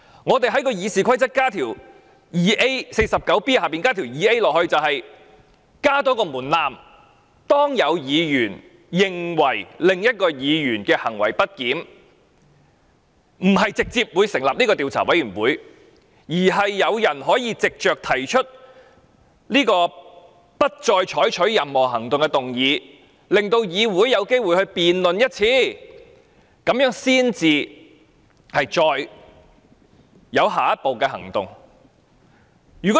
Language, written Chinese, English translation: Cantonese, 我們在《議事規則》第 49B 條加入第款，用意是加入一個門檻，當一位議員認為某位議員行為不檢，不是直接成立調查委員會，而是讓議員可以藉着提出不得再採取任何行動的議案，令議會有機會就此進行一次辯論，然後才進行下一步行動。, The purpose of adding subrule 2A into Rule 49B of the Rules of Procedure is to lay down a threshold . When a Member is of the view that a certain Member has misbehaved instead of directly establishing an investigation committee Members have an opportunity to hold a debate before proceeding to this step which is by moving a motion to order that no further action shall be taken